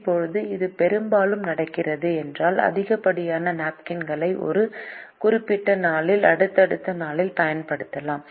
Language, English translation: Tamil, this is happening largely because we could carry the excess napkins on a certain day for use on a subsequent day